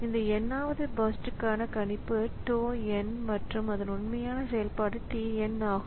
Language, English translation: Tamil, So, for this nth CPU burst the prediction was tau and its actual execution was tn